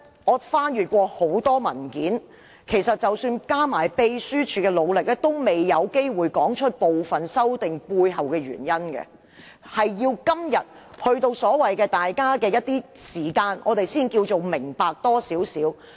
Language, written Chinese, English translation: Cantonese, 我翻閱了很多文件，即使加上秘書處的努力，在文件中也未必能夠說明部分修訂建議背後的原因，而是要等到今天大家一起花時間討論，我們才可多明白一點。, I have read a lot of papers and despite the efforts of the Secretariat the papers may not be able to cover all the reasons for making each amendment proposal . We must wait till today in order to gain a better understanding through discussion